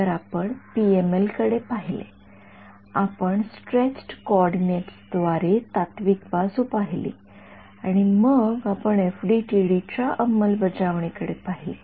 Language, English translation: Marathi, So, we looked at PMLs, we looked at the theory via stretched coordinates and then we looked at the implementation in FDTD